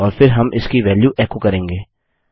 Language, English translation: Hindi, And then we will echo out the value of this